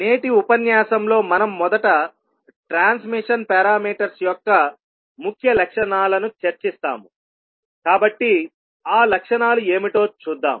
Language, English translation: Telugu, For today’s lecture we will first discuss the key properties of the transmission parameters, so we will see what are those the properties